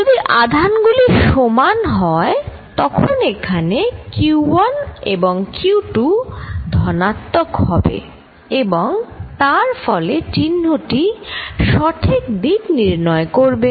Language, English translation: Bengali, If the forces are, if the charges are the same, then the q 1 and q 2 this out here is going to be positive and therefore, the sign gives the right direction